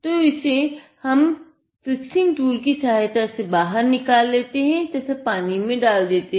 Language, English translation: Hindi, So, we have taken it out from the fixing tool and then dropped it into the water